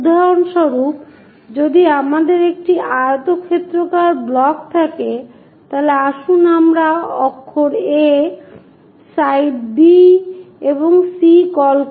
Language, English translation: Bengali, For example, if we have a rectangular block, let us call letter A, side B and C